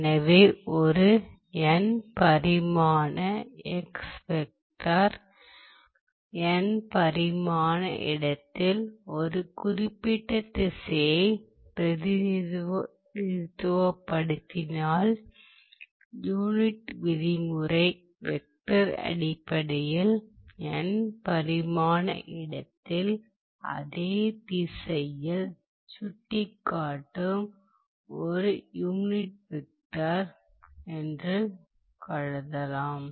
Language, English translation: Tamil, So, if you think of this n dimensional vector xbar as representing a particular direction in n dimensional space, the unit norm vector can think can be thought of as a unit vector basically pointing in that direction, in n dimensional space